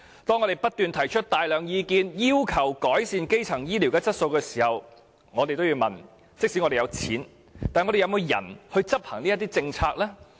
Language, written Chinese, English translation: Cantonese, 當我們不斷提出大量意見，要求改善基層醫療質素時，我們也要問即使有錢，但有沒有人手執行政策呢？, When we keep putting forward numerous ideas on improving the quality of primary health care services we should also pose the following question to ourselves Although there is no lacking of money do we have the necessary manpower to take charge of policy execution?